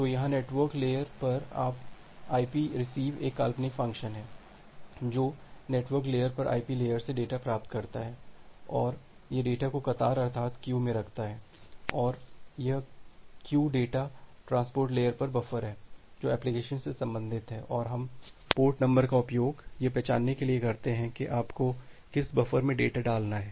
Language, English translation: Hindi, So, here at the network layer, this ip receive is again a hypothetical function that receive the data from the ip layer on the network layer, and it put the data into the queue and this queue is the buffer at the transport layer corresponds to an application, and we use port number to identify that in which buffer you need to put the data